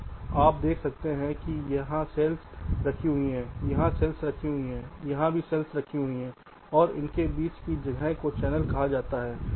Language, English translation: Hindi, so you can see that there are cells placed here, cells placed here and this space in between